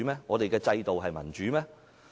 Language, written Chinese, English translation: Cantonese, 我們的制度民主嗎？, Do we have institutional democracy?